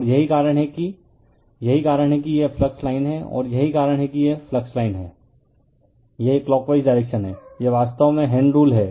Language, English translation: Hindi, And that is why this one that is why this is the flux line, and this is that is why this is the flux line, it is clockwise direction, this is actually right hand rule right